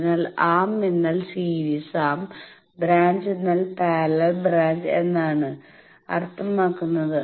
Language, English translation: Malayalam, So, arm means series arm branch means a parallel branch